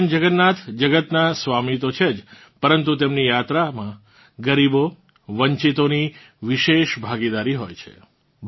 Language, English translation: Gujarati, Bhagwan Jagannath is the lord of the world, but the poor and downtrodden have a special participation in his journey